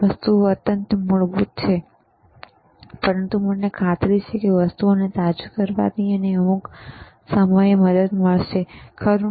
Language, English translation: Gujarati, These all things may look extremely basic, but I am sure that you know learning every time again and again refreshing the things will help you at some point, right